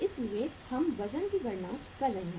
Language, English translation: Hindi, So we are calculating the weight